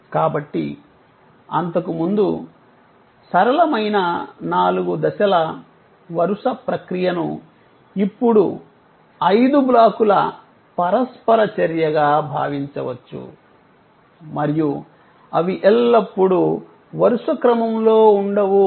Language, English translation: Telugu, So, that earlier simple four steps sequential process can be now thought of as five blocks of interaction and they are not always sequential